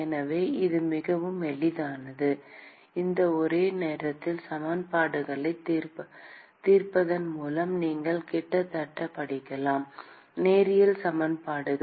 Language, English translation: Tamil, So, it is quite easy, you can almost read out by solving these simultaneous equations linear equations